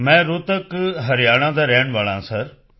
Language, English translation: Punjabi, I belong to Rohtak, Haryana Sir